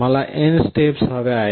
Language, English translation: Marathi, I need n number of steps